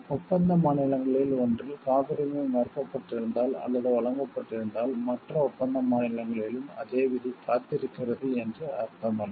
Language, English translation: Tamil, Like, if it has been refused or granted in one of the patent in one of the contracting state does not mean the same fate is awaited in other contracting states